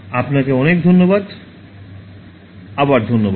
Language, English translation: Bengali, Thank you so much, thanks again